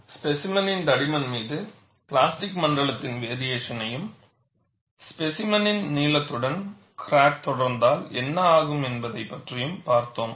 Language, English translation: Tamil, See, we have looked at variation of plastic zone over the thickness of the specimen, as well as, what happens when the crack proceeds along the length of the specimen, how the situation takes place